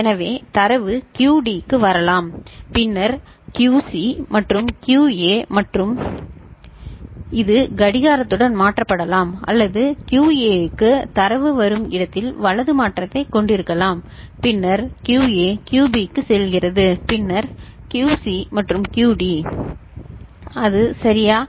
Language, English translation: Tamil, So, data can come to QD, then QC, QB and QA this is way it can be shifted with clock or it can have right shift where data is coming to QA this and then QA, goes to QB, then QC and QD, is it ok